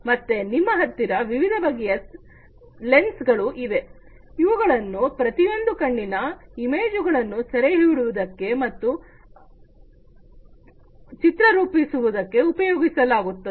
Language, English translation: Kannada, So, then you also have different lenses, which could be used to capture and reshape the image of each eye